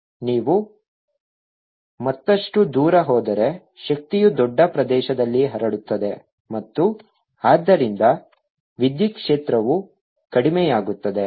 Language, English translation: Kannada, further away you go, the power splits over a larger area and therefore electric field is going to go down